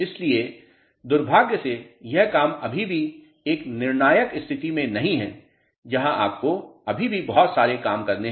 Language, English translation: Hindi, So, unfortunately this work is not in still a conclusive state where you have to still do lot of work to get